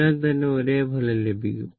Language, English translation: Malayalam, It will give you the same result